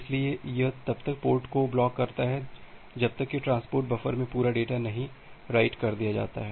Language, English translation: Hindi, So, it blocks the port until the complete data is written in the transport buffer